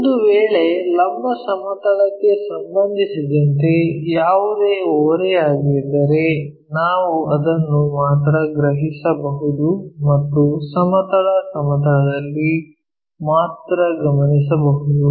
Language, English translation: Kannada, If that is the case any inclination with respect to vertical plane we can perceive it only or observe it only in the horizontal plane